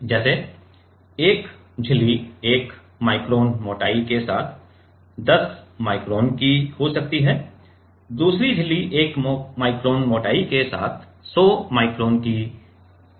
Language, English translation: Hindi, Size like 1 membrane can be of 10 micron with 1 micron thickness, another membrane can be like 100 micron with 1 micron thickness